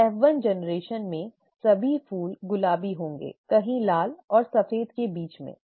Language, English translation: Hindi, In the F1 generation, all the flowers would be pink, somewhere in between red and white, okay